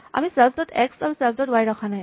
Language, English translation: Assamese, We are not keeping self dot x and self dot y